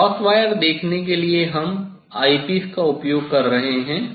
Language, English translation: Hindi, Now, to see the cross wire we are using IPs